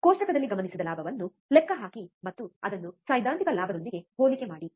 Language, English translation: Kannada, Calculate the gain observed in the table and compare it with the theoretical gain